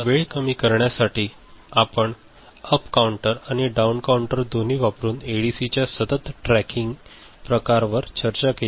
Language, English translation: Marathi, And to reduce the time, we discussed continuous tracking type of ADC, using both up counter and down counter